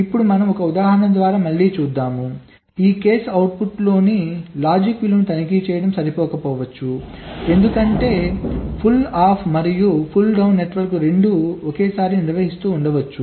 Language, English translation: Telugu, therefore, this case, just checking the logic value in the output, may not be sufficient, because both the pull up and pull down network may be simultaneously conducting